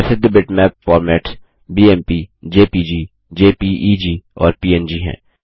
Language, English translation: Hindi, Popular bitmap formats are BMP, JPG, JPEG and PNG